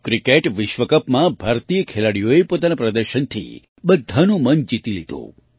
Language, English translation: Gujarati, Indian players won everyone's heart with their performance in the Cricket World Cup